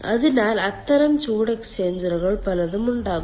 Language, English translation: Malayalam, there are heat exchangers